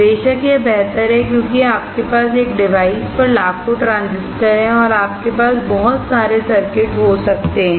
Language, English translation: Hindi, Of course, it is better because you have millions of transistors on one device and you can have lot of circuits